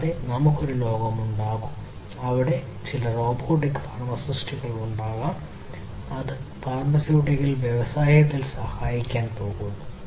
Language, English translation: Malayalam, And we are going to have a world, where there would be some robotic pharmacists, which is going to help in the pharmaceutical industry